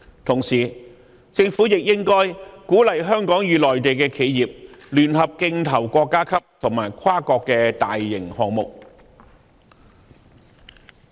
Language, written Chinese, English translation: Cantonese, 同時，政府亦應該鼓勵香港與內地企業聯合競投國家級和跨國大型項目。, Meanwhile the Government should also encourage collaboration between Hong Kong and Mainland enterprises in bidding for large - scale national and multinational projects